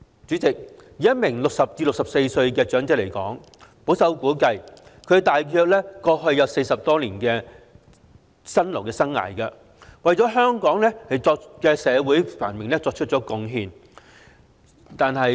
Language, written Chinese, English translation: Cantonese, 主席，以一名60歲至64歲的長者來說，保守估計大約經歷了40多年的辛勞生涯，為香港社會繁榮作出貢獻。, President for an elderly person aged between 60 and 64 it can be conservatively estimated that he has been through about some 40 years of toil contributing to the prosperity of Hong Kong